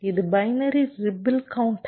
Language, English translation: Tamil, this is binary counter